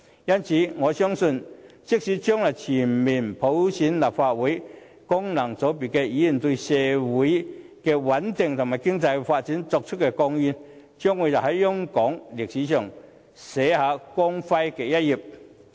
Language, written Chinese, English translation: Cantonese, 因此，我相信，即使將來全面普選立法會，但功能界別議員對社會的穩定和經濟發展所作出的貢獻，將會在香港歷史上寫下光輝的一頁。, Thus I trust that even if universal suffrage for the Legislative Council election is implemented eventually in the future the contribution of functional constituency Members to social stability and economic development will definitely leave a glorious page in Hong Kongs history